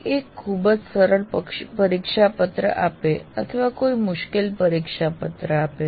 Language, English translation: Gujarati, And what happens is one may be giving a very easy test paper or a difficult test paper